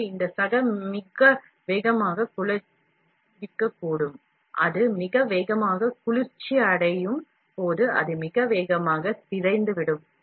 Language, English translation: Tamil, So, this fellow might cool very fast, when it cools very fast, it also distorts very fast